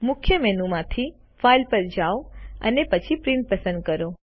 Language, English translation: Gujarati, From the Main menu, go to File, and then select Print